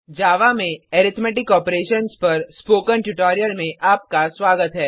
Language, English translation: Hindi, Welcome to the tutorial on Arithmetic Operations in Java